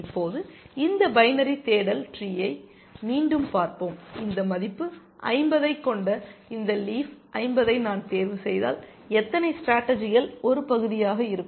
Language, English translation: Tamil, Now, let us look at this binary search tree again, if I were to select this leaf 50, which has this value 50, how many strategies will this be a part of